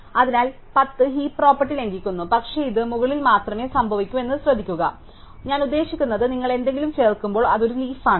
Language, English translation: Malayalam, So, 10 violates the heap property, but notice that this can only happen above, so what I mean is that when you insert something it is a leaf